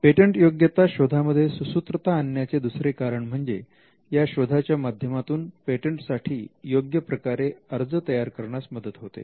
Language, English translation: Marathi, The second reason is that a patentability search which generates a report can help you to prepare a better application